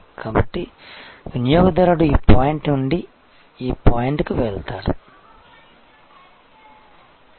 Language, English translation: Telugu, So, that the customer goes from this point to this point